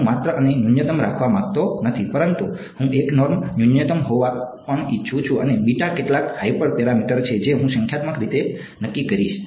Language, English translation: Gujarati, Not only do I want this to be minimum, but I also wants the 1 norm to be a minimum and beta is some hyper parameter which I will determine numerically